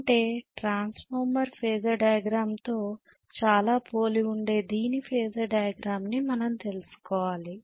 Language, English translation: Telugu, I am rather saying that we should know the Phasor diagram which is very very similar to transformer Phasor diagram